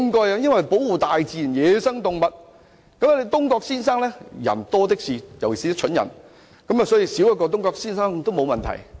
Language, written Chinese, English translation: Cantonese, 然而，像東郭先生的人多的是，尤其是一些蠢人，所以少一個東郭先生這類的人也沒有問題。, Meanwhile there are many people like Mr Dongguo especially stupid people . So it does not really matter even if there is one less person like Mr Dongguo